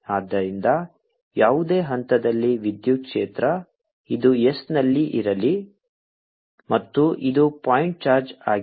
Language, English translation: Kannada, so at any point, electric field, let this is at s and this is a point charge